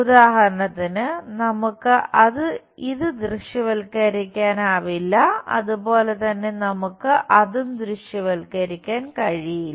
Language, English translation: Malayalam, For example, we can not visualize this similarly we can not visualize that